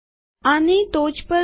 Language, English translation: Gujarati, Go to the top of this